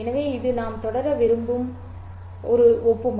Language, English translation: Tamil, So, this is the analogy by which we want to proceed